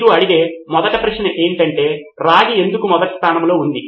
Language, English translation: Telugu, First question you would ask is why did the copper was there in the first place